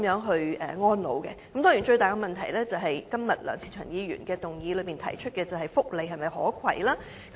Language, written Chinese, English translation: Cantonese, 當然，當中涉及最大的問題，就是今天梁志祥議員在議案中提出有關福利的可攜性。, It goes without saying that the biggest issue involved here is the portability of welfare benefits as raised in Mr LEUNG Che - cheungs motion